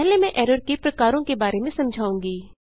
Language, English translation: Hindi, First I will explain about Types of errors